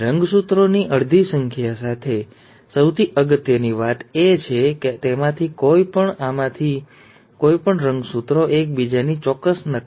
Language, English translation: Gujarati, With half the number of chromosomes, and most importantly, none of them, none of these gametes are an exact copy of each other